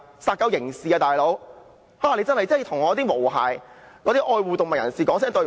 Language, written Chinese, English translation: Cantonese, 殺狗是刑事罪行。你必須向"毛孩"及愛護動物人士說句"對不起"。, Killing dogs is a criminal offence for which have to say sorry to the fluffy children and animal lovers